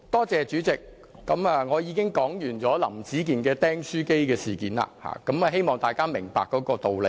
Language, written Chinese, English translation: Cantonese, 主席，我已經說完"林子健釘書機事件"，希望大家明白這個道理。, President I have already finished talking about the staples incident of Howard LAM . I hope that Members can understand the argument